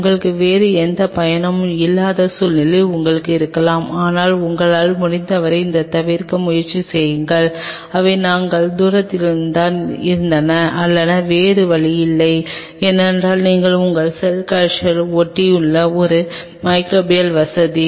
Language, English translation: Tamil, You may have a situation you have no other go there will be close by, but try to avoid it as much as you can that led they we are distance or if you have no other go that you are a microbial facility adjacent to your cell culture